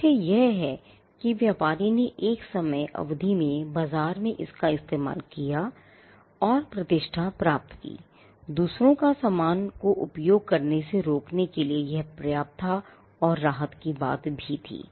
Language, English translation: Hindi, The fact that the trader used it in the market over a period of time and gained reputation was enough to stop others from using similar marks